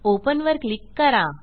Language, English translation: Marathi, and click on Open